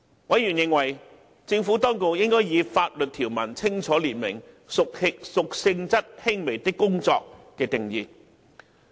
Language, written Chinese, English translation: Cantonese, 委員認為，政府當局應以法律條文清楚列明"屬性質輕微的工作"的定義。, Members were of the view that the definition of works of a minor nature should be clearly set out in the legal provisions